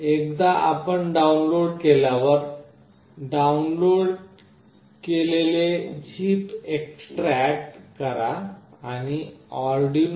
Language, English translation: Marathi, Once you have downloaded, extract the downloaded zip and click on arduino